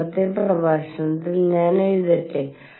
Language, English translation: Malayalam, Let me write in the previous lecture